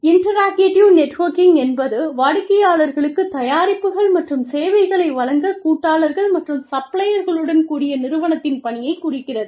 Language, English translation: Tamil, Interactive networking refers to, the work of the organization, with partners and suppliers, to provide products and services, to clients